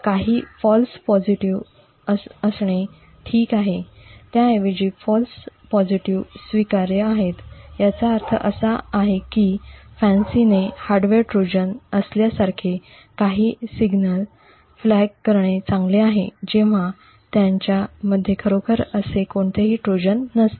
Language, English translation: Marathi, It is okay to have a few false positives, rather the false positives are acceptable this means that it is okay for FANCI to flag a few signals to as having a hardware Trojan when indeed there is no such Trojan present in them